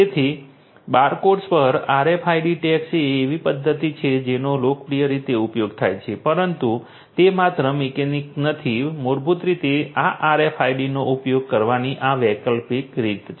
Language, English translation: Gujarati, So, RFID tags over barcodes is a mechanism that is popularly used, but is not the only mechanic this is an alternative way of basically using these RFIDs